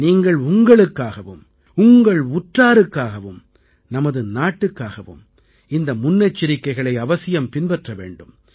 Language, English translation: Tamil, I am sure that you will take these precautions for yourself, your loved ones and for your country